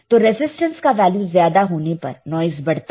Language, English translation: Hindi, If the resistance value is higher, noise will increase